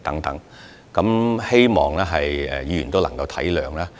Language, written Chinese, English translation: Cantonese, 我希望各位議員體諒。, I appeal for understanding from Members